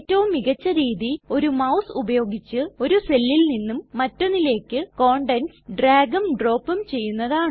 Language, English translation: Malayalam, The most basic ability is to drag and drop the contents of one cell to another with a mouse